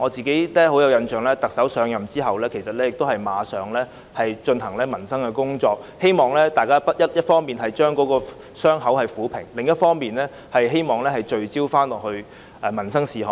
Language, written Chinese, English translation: Cantonese, 令我印象深刻的是特首一上任便立即處理民生工作，一方面希望撫平傷口，另一方面也希望大家能夠聚焦民生事務。, What impressed me deeply was the Chief Executive instantly carrying out work in respect of the peoples livelihood once she assumed office in the hope of healing the wound on the one hand and focusing public attention on livelihood issues on the other